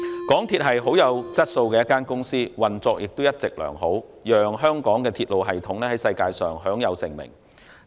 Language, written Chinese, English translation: Cantonese, 港鐵公司是甚具質素的公司，運作一直良好，讓香港的鐵路系統在世界上享有盛名。, MTRCL is a quality company which has all along been functioning properly earning worldwide reputation for Hong Kongs railway system